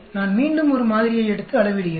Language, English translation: Tamil, I again take a sample measure it